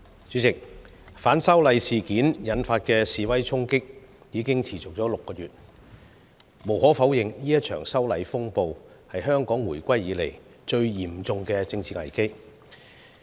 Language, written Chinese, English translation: Cantonese, 主席，反修例事件引發的示威衝擊已持續了6個月，無可否認，這場修例風暴是香港回歸以來最嚴重的政治危機。, President the demonstration storm caused by the opposition to the legislative amendments has lasted for six months . It is undeniable that the storm arising from the legislative amendments is the worst political crisis since Hong Kongs return to China